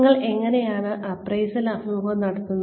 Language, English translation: Malayalam, How do you conduct the appraisal interview